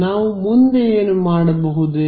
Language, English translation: Kannada, So, what could we do next